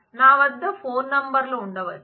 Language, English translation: Telugu, I may have multiple phone numbers